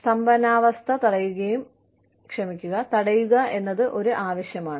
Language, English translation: Malayalam, To prevent the stagnancy, there is a requirement